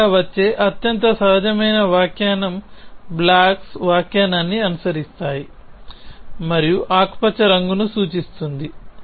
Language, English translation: Telugu, The most natural interpretation which comes to main is the blocks follow interpretation and where green stands for a color